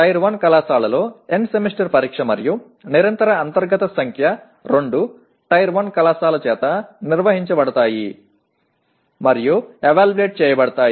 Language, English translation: Telugu, Whereas in Tier 1 college the End Semester Examination and the Continuous Internal Evaluation both are conducted and evaluated by the Tier 1 college